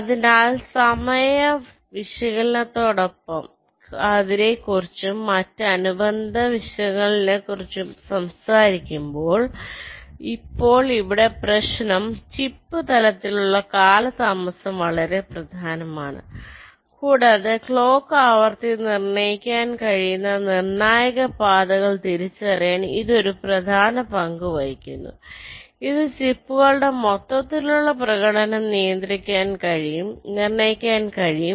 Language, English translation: Malayalam, so when we talk about ah, the timing analysis and other related issues, now the issue here is that delay at the chip level is quite important and it plays an important role to identify the critical paths which in turn can determine the clock frequency which in turn can determine the overall performance of the chips